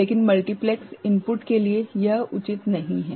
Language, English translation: Hindi, And for, multiplexed input it is not advisable